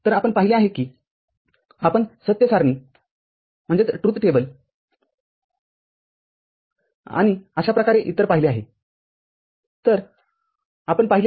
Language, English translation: Marathi, So, you have seen you form the truth table F(0,0), F(0,1) and so on and so forth